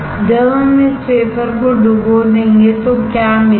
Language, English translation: Hindi, When we dip this wafer what will get